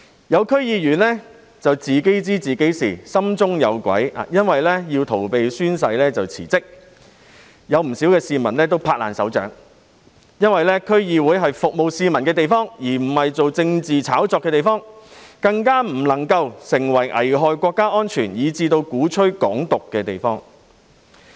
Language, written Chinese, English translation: Cantonese, 有區議員自知心中有鬼，於是為逃避宣誓而辭職，不少市民拍手叫好，因為區議會是服務市民的地方，而不是進行政治炒作的地方，更不能夠成為危害國家安全以至鼓吹"港獨"的地方。, Since some DC members have a guilty conscience at heart they resigned to evade the oath - taking requirement . Quite a number of people erupted in applause and cheering because DC is a place for serving the community . It should not be turned into a place for making political hypes nor should it become a place that endangers national security or advocates Hong Kong independence